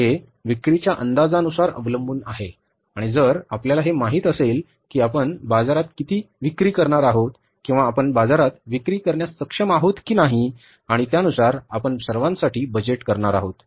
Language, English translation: Marathi, It depends with the forecasting of sales and we know that how much we are going to sell in the market or we are capable of selling in the market, accordingly we are going to produce and then accordingly we are going to budget for the all input cost